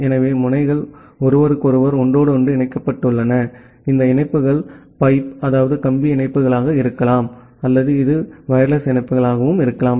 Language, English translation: Tamil, So the nodes are interconnected with each other, these links can be wired links or this can be wireless links as well